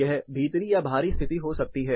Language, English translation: Hindi, It can be indoor or outdoor condition